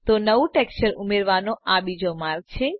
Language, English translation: Gujarati, So this is another way to add a new texture